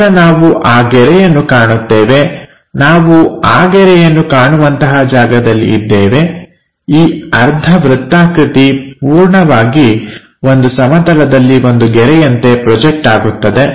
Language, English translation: Kannada, Then we will be in a position to see that line, we will be in your position to see that line, this entire semi circle that will be projected as one line on a plane